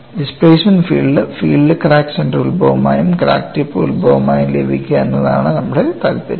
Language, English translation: Malayalam, You know our interest is to get the displacement field with crack center as the origin as well as crack tip as the origin